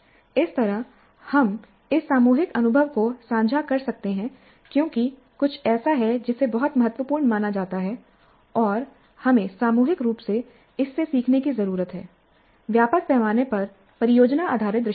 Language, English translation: Hindi, And that way we can share this collective experience because this is something that is seen as very important and we need to collectively learn from this, the project based approach on a wider scale